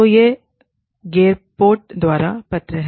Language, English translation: Hindi, So, this is the paper, by Gerpott